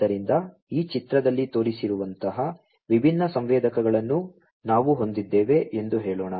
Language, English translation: Kannada, So, let us say that we have different sensors like the ones that are shown in this figure